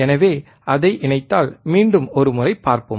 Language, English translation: Tamil, So, let us see once again, if we connect it